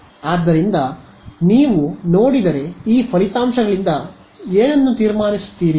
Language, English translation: Kannada, So, if you saw these results what would you conclude